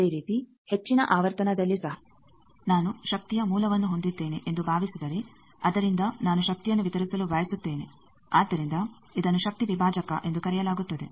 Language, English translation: Kannada, Similarly at high frequency also I have suppose a source of power then from that I want to distribute power, so that is called power divider